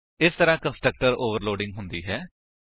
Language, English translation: Punjabi, This is how constructor overloading is done